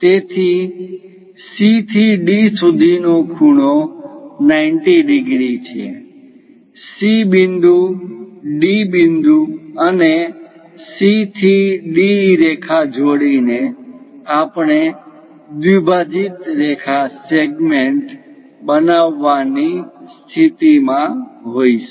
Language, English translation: Gujarati, So, the angle from C to D is 90 degrees; by constructing C point, D point, and joining lines C to D, we will be in a position to construct a bisected line segment